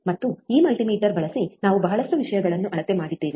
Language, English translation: Kannada, And we have measure a lot of things using this multimeter